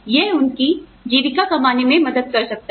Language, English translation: Hindi, That can help them, earn their living